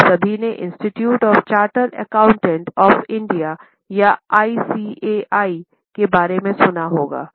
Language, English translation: Hindi, I think you all would have heard about Institute of Chartered Accountants of India or ICAI